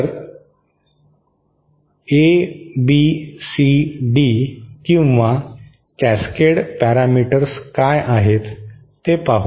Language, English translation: Marathi, So, let us see what is ABCD or Cascade parameters